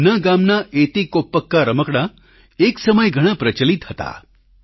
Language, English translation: Gujarati, Once the Eti Koppakaa toys of his village were very popular